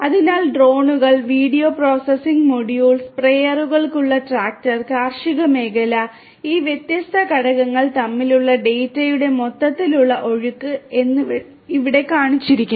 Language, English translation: Malayalam, So, drones, video processing module, tractor with sprayer which can be actuated, and agricultural field and the overall flow of data between these different components are shown over here